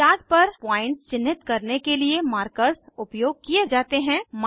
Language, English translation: Hindi, Markers are used to mark points on the chart